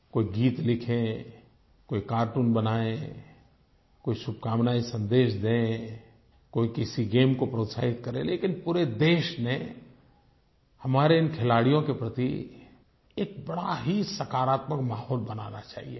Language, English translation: Hindi, Someone could write a song, someone could draw cartoons, someone could send messages with good wishes, somebody could cheer a particular sport, but on the whole a very positive environment should be created in the entire country for these sportspersons